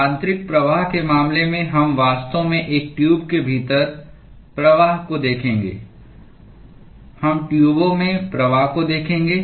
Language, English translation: Hindi, In the case of internal flows we will actually look at flow within a tube we will look at flow in tubes